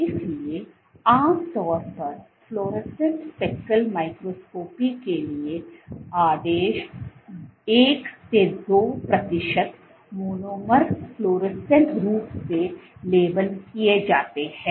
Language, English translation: Hindi, So, typically for fluorescent speckle microscopy order 1 to 2 percent of monomers are fluorescently labeled